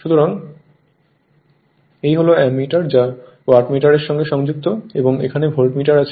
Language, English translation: Bengali, So, this is the Ammeter is connected 1 Wattmeter is connected and 1 Voltmeter is here